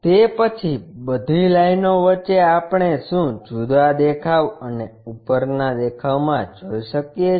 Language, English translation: Gujarati, Then, among all lines what we can see a different view and the top view